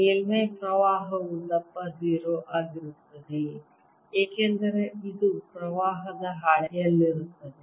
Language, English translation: Kannada, surface current is of thickness zero because this is on a sheet of current